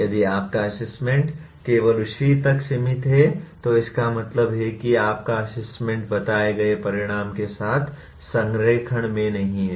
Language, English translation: Hindi, If your assessment is only limited to that, that means your assessment is not in alignment with the stated outcome